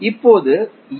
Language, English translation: Tamil, What is S